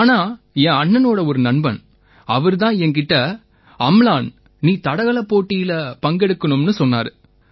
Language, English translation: Tamil, But as my brother's friend told me that Amlan you should go for athletics competitions